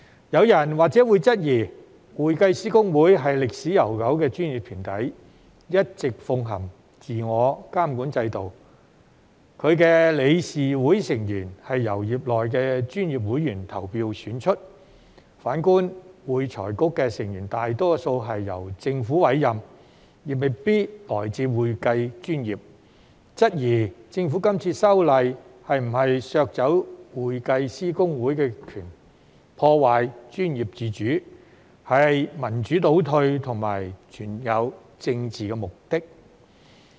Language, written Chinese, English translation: Cantonese, 有人或會質疑，會計師公會是歷史悠久的專業團體，一直奉行自我監管制度，其理事會成員是由業內專業會員投票選出；反觀會財局的成員大多數是由政府委任，亦未必來自會計專業，質疑政府今次修例是否要削走會計師公會的權力，破壞專業自主，是民主倒退和存在政治目的。, Some people may question whether the Government in proposing these legislative amendments is intended to take away the powers of HKICPA and undermine its professional autonomy which they regarded as a retrogression in democracy and a step taken for a political purpose as HKICPA being a professional body with a long history has all along been practising a self - regulatory system with members of the Council elected by members of the profession whereas most members of FRC are on the contrary appointed by the Government and may not come from the accounting profession